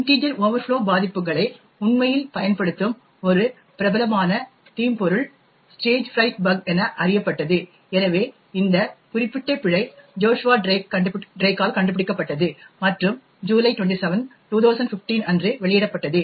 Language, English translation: Tamil, One quite famous malware which actually uses integer overflow vulnerabilities quite a bit was known as the Stagefright bug, so this particular bug was discovered by Joshua Drake and was disclosed on July 27th, 2015